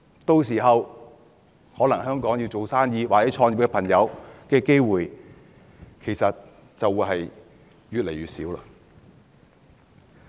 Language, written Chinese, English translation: Cantonese, 屆時，有意在香港做生意或創業的朋友的機會便越來越少。, If the former is the case people intending to do business or start their companies in Hong Kong will find their opportunities shrinking then